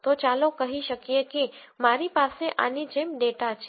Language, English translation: Gujarati, So, let us say I have data like this